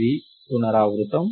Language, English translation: Telugu, This is a recurrence